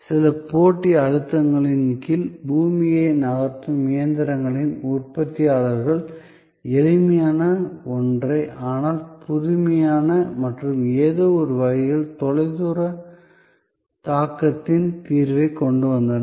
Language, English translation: Tamil, Under some competitive pressures, the manufacturers of earth moving machineries came up with a simple, but innovative and in some way, a solution of far reaching impact